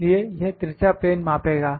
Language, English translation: Hindi, So, it will measure the slant plane